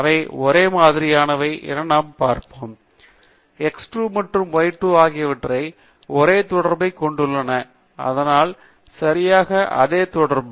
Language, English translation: Tamil, LetÕs see if they have the same x 2 and y 2 have the same correlation; so exactly the same correlation